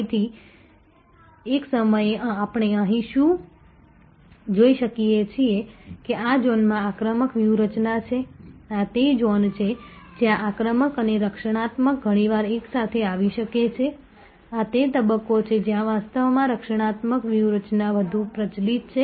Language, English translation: Gujarati, So, at a time, what we can see here that this is the zone offensive strategy this is the zone, where offensive and defensive often may come together this is the stage, where actually defensive strategy is more prevalent